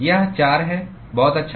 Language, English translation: Hindi, It is 4, very good